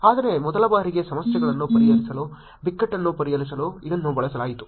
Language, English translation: Kannada, Whereas, first time it was used to solve the problems, solve the crisis is actually this one